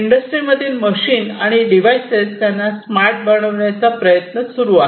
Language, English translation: Marathi, Plus, we are gradually trying to make our machines and different devices in the industry smarter